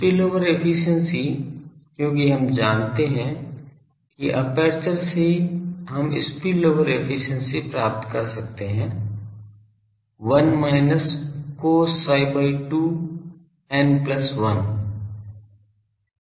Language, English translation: Hindi, Spillover efficiency, since we know the aperture we can find spillover efficiency; 1 minus cos psi by 2 n plus 1